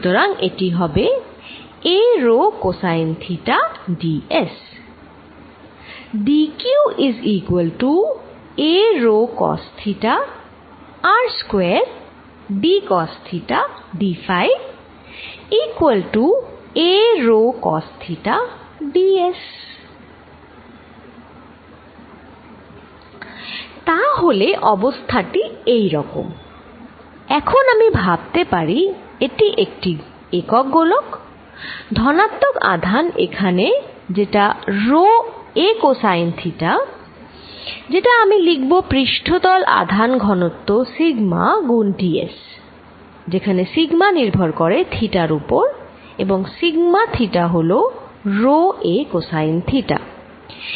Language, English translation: Bengali, So, what I have the situation now if I think of this as single sphere, I have positive charge here which is rho a cosine of theta d s which I can write as a surface charge density sigma times d s, where sigma depends on theta and sigma theta is equal to some rho a cosine of theta